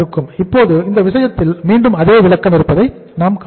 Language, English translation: Tamil, Now in this case we will see that again the same interpretation will come here